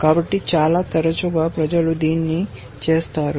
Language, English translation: Telugu, So, very often people do this